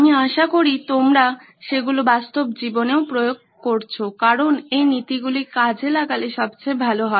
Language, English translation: Bengali, I hope you have been applying them on real life as well because these principles are best when put in action